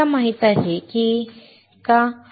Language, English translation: Marathi, Do you know